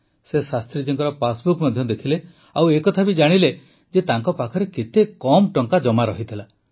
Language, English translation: Odia, He also saw Shastri ji's passbook noticing how little savings he had